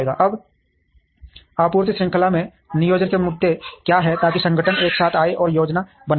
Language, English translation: Hindi, Now, what are the planning issues in supply chain, so that organizations come together and plan